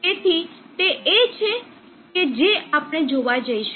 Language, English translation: Gujarati, So that is what we are going to see